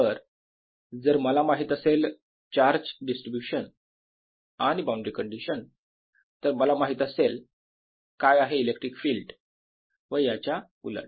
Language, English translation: Marathi, so if i know the charge distribution and the boundary condition, i know what the electric field is and vice versa